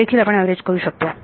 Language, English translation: Marathi, That also we can average